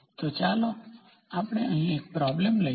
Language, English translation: Gujarati, So, let us take the problem here